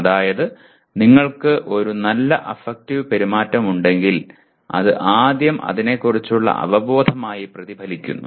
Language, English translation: Malayalam, That is if you are a positive affective behavior first gets reflected as awareness of that